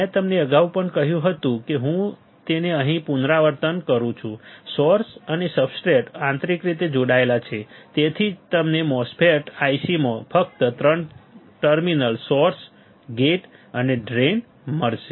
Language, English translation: Gujarati, I have told you earlier also I am repeating it here, source and substrates are connected internally that is why you will find MOSFET I cs with only 3 terminals, only 3 terminals source gate and drain ok